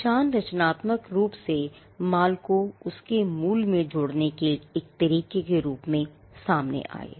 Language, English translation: Hindi, Marks came as a way to creatively associate the goods to its origin